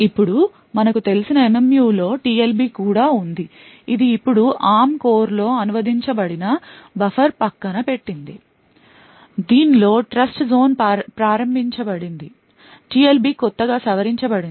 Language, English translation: Telugu, Now the MMU as we know also comprises of TLB which is the translation look aside buffer now in an ARM core which has Trustzone enabled in it the TLB is modified slightly